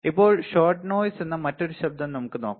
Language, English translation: Malayalam, Now, let us see another noise called shot noise, shot noise